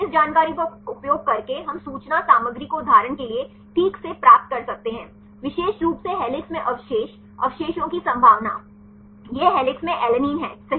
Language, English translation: Hindi, Using this information we can derive the information content right for example, the probability of particular residue alanine in helix right, this is alanine in helix right